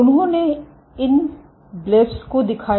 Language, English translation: Hindi, They exhibited these blebs